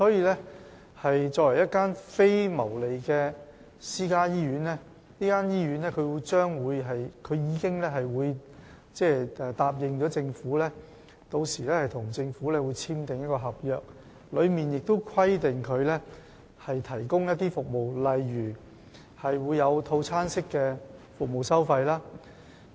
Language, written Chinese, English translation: Cantonese, 因此，作為一間非牟利的私營醫院，中大醫院已經向政府承諾，稍後會與政府簽訂合約，當中會規定醫院提供例如套餐式收費的服務。, Under the circumstances CUHKMC being a non - profit - making private hospital has promised to sign an agreement with the Government containing provisions requiring the hospital to provide packaged services and so on